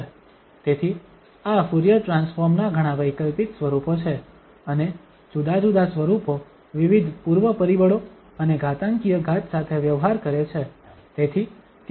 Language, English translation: Gujarati, So there are many alternate forms of this Fourier transforms and different forms deal with different pre factor and this power of exponential